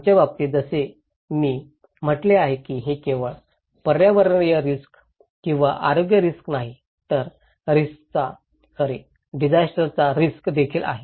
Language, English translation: Marathi, In our case, as I said it’s not only environmental risk or health risk, it’s also disaster risk